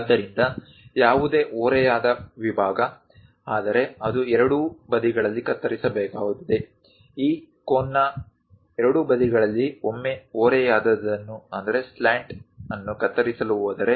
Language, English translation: Kannada, So, any inclined section, but it has to cut on both the sides let us call A point, B point; on both sides of this cone if it is going to cut the slant once